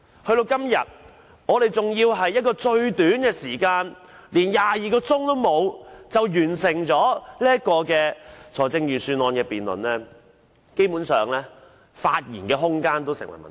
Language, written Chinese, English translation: Cantonese, 到了今天，我們更要在最短時間、不足22小時內完成預算案的辯論，基本上連發言空間也成問題。, We are even required to finish the Budget debate today within the shortest time and in less than 22 hours and we basically do not have enough time for speaking